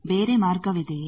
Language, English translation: Kannada, Is there any other path